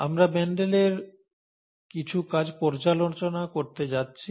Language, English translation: Bengali, We are going to review, we are going to see some of Mendel’s work